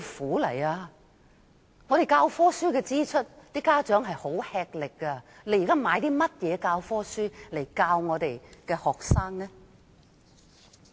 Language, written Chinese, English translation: Cantonese, 家長要承擔教科書的支出，已十分吃力。現在買甚麼教科書來教學生？, Parents already have to pay a lot for textbooks and what kinds of textbooks are used to teach students now?